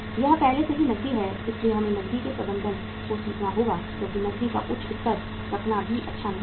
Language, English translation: Hindi, It is already cash so again we have to learn the management of cash because keeping too high level of the cash is also not good